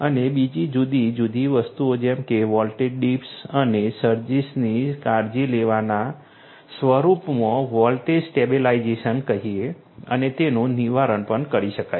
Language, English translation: Gujarati, And also you know different other things such as let us say voltage stabilization in the form of taking care of voltage dips and surges and their prevention could also be done